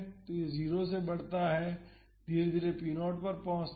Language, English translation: Hindi, So, it increases from 0 and gradually it reaches p naught